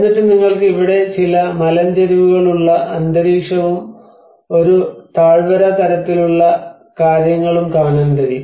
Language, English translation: Malayalam, And then you can see some cliff kind of environment here and a valley sort of thing